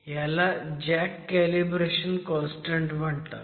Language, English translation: Marathi, So, this is called the jack calibration constant